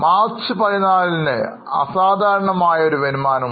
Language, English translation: Malayalam, There is an extraordinary income in March 14